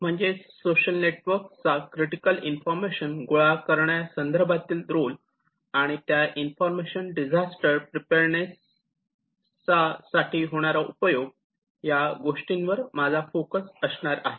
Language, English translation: Marathi, In this lecture, I will focus on what is the role of social networks to collect information that is necessary for disaster preparedness